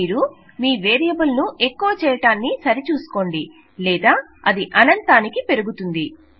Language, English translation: Telugu, Make sure that you do increment your variable otherwise it will loop for infinity